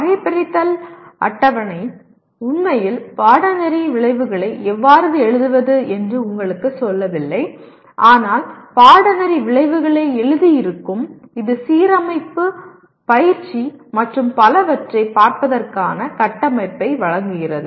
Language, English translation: Tamil, Taxonomy table really does not tell you how to write Course Outcomes but having written Course Outcomes it will kind of, it provide a framework for looking at the issues of alignment, tutoring and so on